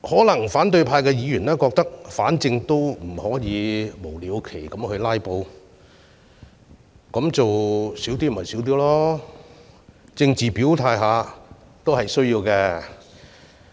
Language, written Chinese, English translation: Cantonese, 因此，反對派議員可能認為，反正無法無了期地"拉布"，那麼不如少做一些吧，但政治表態也必需的。, Opposition Members may therefore think that since they cannot filibuster indefinitely they may as well propose fewer amendments but it is still necessary to make known their political stance